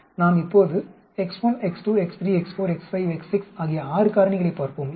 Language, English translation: Tamil, Now let us look at six factors x 1, x 2, x 3, x 4, x 5, x 6